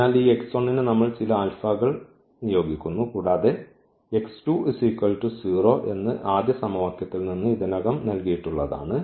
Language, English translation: Malayalam, So, this x 1 we are assigning some alpha for instance and this x 2 equation that is already given from the first equation that x 2 is 0